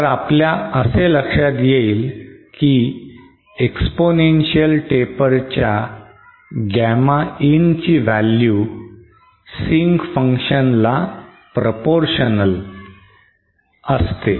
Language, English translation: Marathi, So we see that Gamma In for this exponential taper is proportional to the sync function